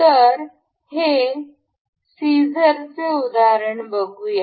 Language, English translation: Marathi, So, one of this is scissor we can see